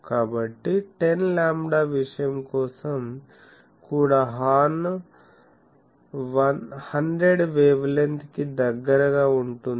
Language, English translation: Telugu, So, even for 10 lambda thing the horn will be close to 100 wavelength long